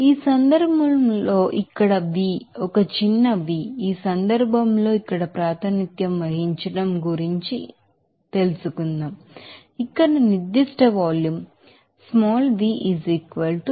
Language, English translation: Telugu, In this case here v What about represented here in this case, this will be specific volume that is